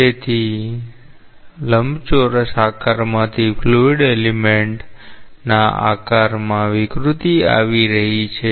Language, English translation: Gujarati, So, from a rectangular shape, the fluid element is coming to the deformed shape